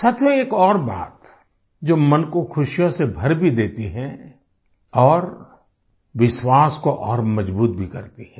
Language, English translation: Hindi, Friends, there's one more thing that fills the heart with joy and further strengthens the belief